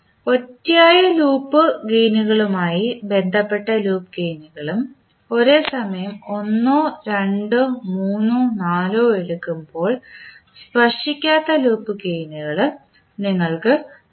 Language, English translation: Malayalam, So Delta will give you the loop gains related to individual loop gains as well as the non touching loop gains when you take two at a time or three or four and so on at time